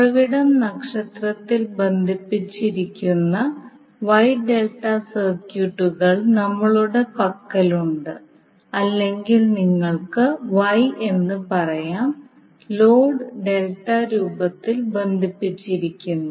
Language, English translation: Malayalam, So you will see there we have wye delta circuits where the source is connected in star or you can say wye and load is connected in delta form